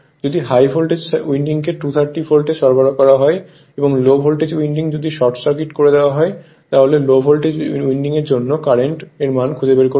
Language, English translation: Bengali, And if the high voltage winding is supplied at 230 volt with low voltage winding short circuited find the current in the low voltage winding